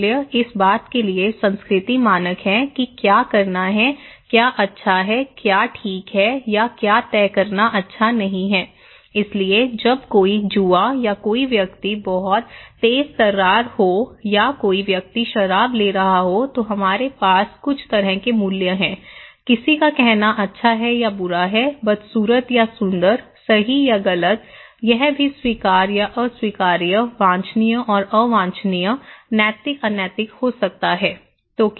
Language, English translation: Hindi, Values are culture standard for what to do, what is good, what is not good to decide okay, so when somebody is gambling or somebody is very flamboyant or somebody is taking alcohol, we have some kind of values, somebody saying is good or bad, ugly or beautiful, right or wrong, it could be also kind of accepted or unaccepted, desirable and undesirable, ethical unethical